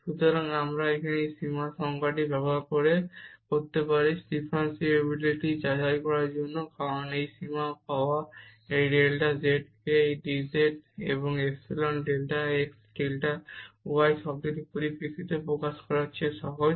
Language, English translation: Bengali, So, we can use this limit definition here for testing the differentiability, because getting this limit is easier than expressing this delta z in terms of this dz and epsilon delta x delta y term